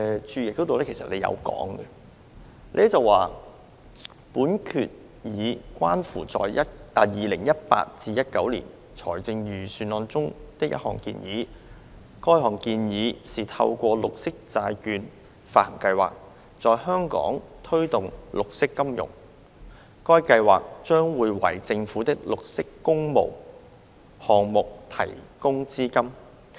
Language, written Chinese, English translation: Cantonese, 政府在註釋是這樣寫的："本決議關乎在 2018-19 年度財政預算案中的一項建議。該項建議是透過綠色債券發行計劃，在香港推動綠色金融。該計劃將會為政府的綠色工務項目提供資金。, This is what the Government has written in the Explanatory Note This Resolution relates to the proposal in the 2018 - 2019 Budget to promote green finance in Hong Kong through a green bond issuance programme which will provide funding for green works projects of the Government